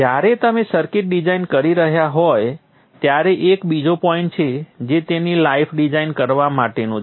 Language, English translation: Gujarati, There is another point which is also there while you are designing circuits that is to design for life